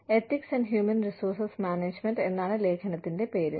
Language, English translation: Malayalam, The article is called, Ethics and Human Resource Management